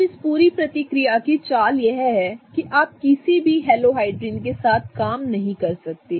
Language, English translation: Hindi, Now, the trick to this whole reaction is that you cannot just work with any halohydrin